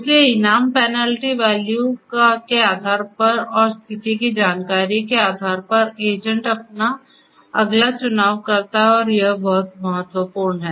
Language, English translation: Hindi, So, with that information based on the reward penalty value and the state information the agent makes its next choice and this is very important